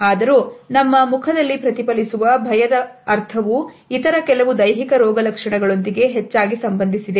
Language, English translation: Kannada, However, the sense of fear which is reflected in our face is often associated with certain other physical symptoms